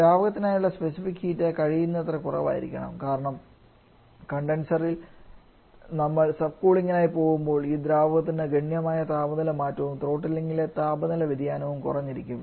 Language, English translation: Malayalam, Specific for liquid should be as low as possible because during in the condenser when we go for subcooling then we can go for significant temperature change for this liquid and throttling temperature changing throttling that becomes smaller